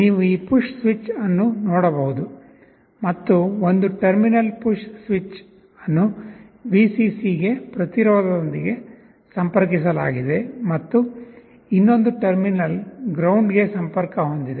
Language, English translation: Kannada, You can see the push switch, and one terminal the push switch is connected to this resistance to Vcc, and the other terminal to ground